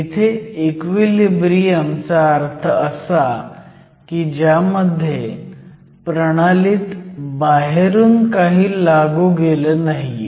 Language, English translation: Marathi, Equilibrium here means there is no external potential applied to the system